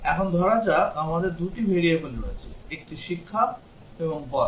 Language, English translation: Bengali, Now let's say we have two variables; one is years of education and age